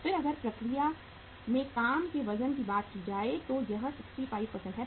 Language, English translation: Hindi, Then if you talk about the weight of the work in process it is 65%